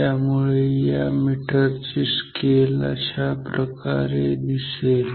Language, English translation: Marathi, So, this is how this scale of this meter should look like ok